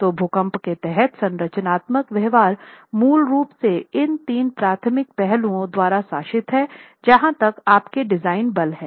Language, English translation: Hindi, So, the structural behavior under an earthquake is basically governed by these three primary aspects as far as your design forces are concerned